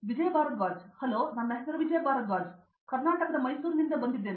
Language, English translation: Kannada, Hello my name is Vijay Bharadwaj, I hail from Mysore Karnataka